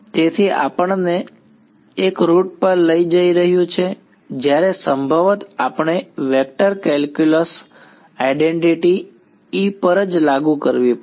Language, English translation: Gujarati, So, this is taking us to one route where possibly we will have to apply the vector calculus identity to E itself